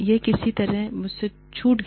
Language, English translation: Hindi, And, I somehow missed it